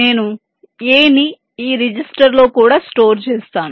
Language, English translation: Telugu, i will also stored a in this register